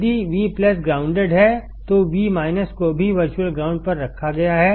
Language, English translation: Hindi, If V plus is grounded, then V minus is also grounded at virtual ground